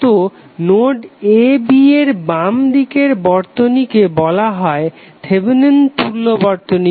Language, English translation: Bengali, So that circuit to the left of this the node a b is called as Thevenin equivalent circuit